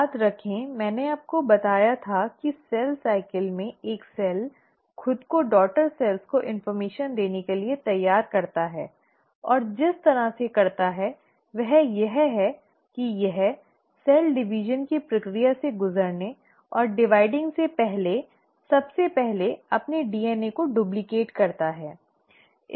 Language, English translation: Hindi, Remember I told you that in cell cycle a cell prepares itself to pass on the information to the daughter cells and the way it does that is that it first duplicates its DNA before actually dividing and undergoing the process of cell division